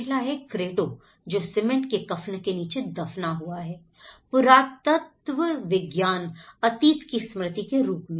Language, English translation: Hindi, The first one, the Cretto which is captured under the shroud of cement, archeology of the archaeology, as a remainder of the past